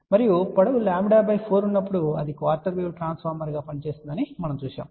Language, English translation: Telugu, And we saw that when the length is lambda by 4 it acts as a quarter wave transformer